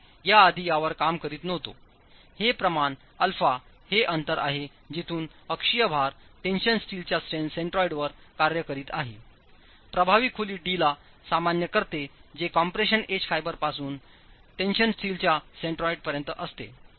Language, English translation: Marathi, This quantity alpha is the distance from where the axle load is acting to the centroid of the steel, the tension steel itself normalized to the effective depth D, which is from the edge compression fiber to the centroid of the tension steel